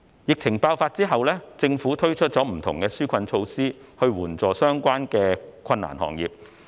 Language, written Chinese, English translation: Cantonese, 疫情爆發後，政府推出不同的紓困措施以援助相關的困難行業。, After the outbreak of the epidemic the Government has introduced various relief measures to help industries in difficulties